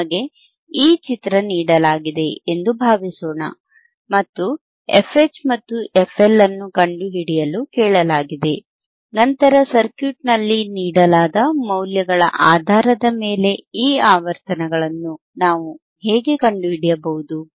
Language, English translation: Kannada, Suppose we are given this value this figure, and we are asked to find f L or f what is that higher and cut off frequency ok, f L and fH if you are asked to find, then how can we find thisese frequencies based on the values given in the circuit, right